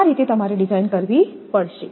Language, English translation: Gujarati, That way you have to design